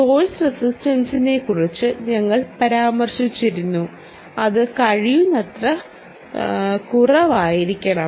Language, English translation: Malayalam, and we also mentioned about source resistance, which is which has to be as low as possible, ah